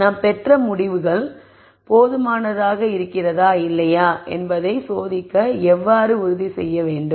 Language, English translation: Tamil, So, how do I ensure that I test to see whether the results that I have are good enough or not